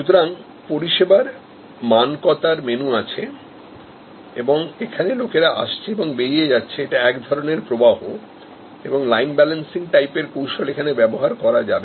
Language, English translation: Bengali, So, there is a menu of standardizing services and it is, people are coming in or going out, it is a flow shop and techniques like line balancing can be used here